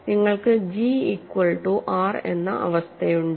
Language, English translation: Malayalam, So, you have the condition G equal to R satisfied